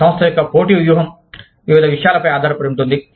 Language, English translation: Telugu, The competitive strategy of a firm, is dependent upon, various things